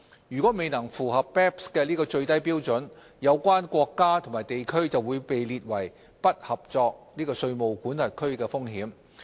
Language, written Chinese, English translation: Cantonese, 如果未能符合 BEPS 的最低標準，有關國家或地區將面臨被列為"不合作"稅務管轄區的風險。, Countries or regions failing to meet the minimum standards risk being identified as non - cooperative tax jurisdictions